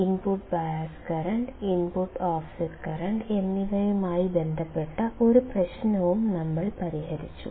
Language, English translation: Malayalam, And we have also solved one problem related to the input bias current and input offset current